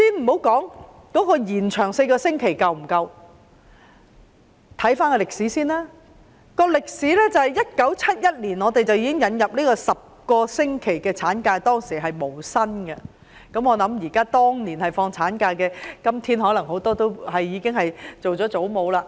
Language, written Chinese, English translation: Cantonese, 我先不論延長產假4個星期是否足夠，回顧我們的歷史，香港在1971年引入10個星期無薪產假，當年放產假的婦女今天可能已經當上祖母了。, Leaving aside the sufficiency of the four - week extension if we trace back in history a 10 - week unpaid ML was first introduced to Hong Kong in 1971 . Those women who took ML at that time may have become grandmothers now